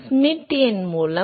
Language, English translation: Tamil, By Schmidt number